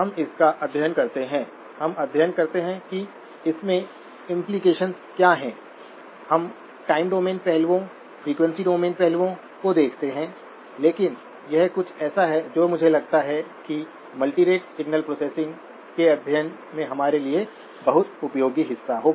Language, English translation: Hindi, We do study it, we do study what are the implications, we look at the time domain aspects, the frequency domain aspects but this is something that I believe will be a very useful part for us in the study of multirate signal processing